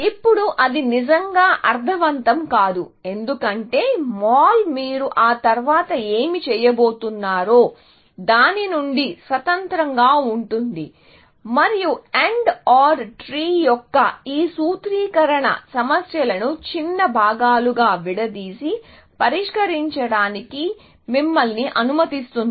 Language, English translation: Telugu, Now, that does not really make sense, because mall is independent of what you are going to do after that, and this formulation of AND OR tree, allows you to break up the problems into smaller parts, and solve it, essentially